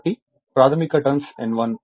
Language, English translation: Telugu, So, primary turns N 1